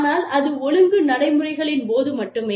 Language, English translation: Tamil, But, it is only during, the disciplinary procedures